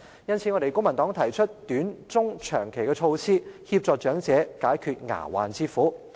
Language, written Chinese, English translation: Cantonese, 因此，公民黨提出短、中、長期措施，協助長者解決牙患之苦。, Hence the Civic Party would like to propose some short medium and long term measures to help solving the dental problem faced by elderly persons